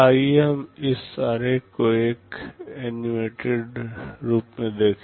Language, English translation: Hindi, Let us look at this diagram in an animated form